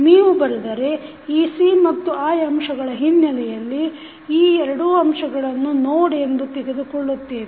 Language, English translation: Kannada, If you write then you write in terms of the ec and i, so, we take these two as a node